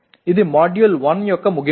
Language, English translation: Telugu, This is the end of the Module 1